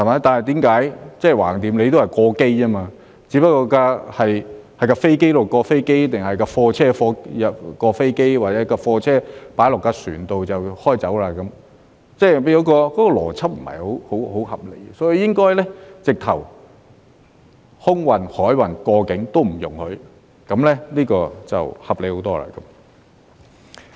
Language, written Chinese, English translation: Cantonese, 但是，反正都是"過機"，只不過是飛機移至飛機，或者是貨車移至飛機或由貨車移到船上便駛走，即是那個邏輯不是很合理，所以應該直接連空運、海運及過境都不容許，這樣就合理很多。, But anyway we are talking about the transfer of cargoes which would be transported to elsewhere after being transferred from an aircraft to another or from a truck to an aircraft or from a truck to a vessel . That is to say the logic is not very reasonable . Therefore it would be much more reasonable if air freight sea freight and transhipment are not allowed straightaway